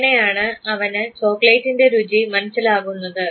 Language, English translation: Malayalam, This is how he got the taste of the chocolate